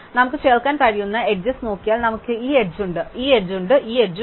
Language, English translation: Malayalam, Now, if we look at possible edges that we can add, we have this edge, we have this edge and we have this edge